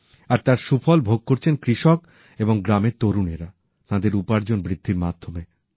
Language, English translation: Bengali, This directly benefits the farmers and the youth of the village are gainfully employed